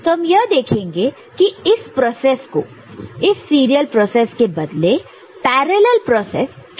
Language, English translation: Hindi, So, the method that we shall try is to make this process parallel instead of serial